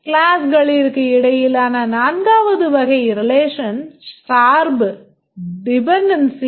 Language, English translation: Tamil, The fourth type of relation between classes is dependency